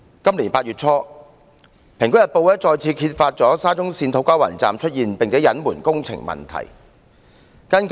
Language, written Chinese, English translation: Cantonese, 今年8月初，《蘋果日報》再次揭發沙中線土瓜灣站出現工程問題並且被隱瞞。, In early August this year the Apple Daily again exposed problems with the works at the SCL To Kwa Wan Station and their concealment